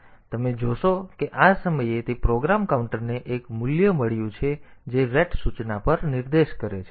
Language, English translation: Gujarati, So, you see that program counter at this point program counter has got a value which is pointing to the at the ret instruction